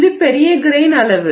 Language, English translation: Tamil, This is larger grain size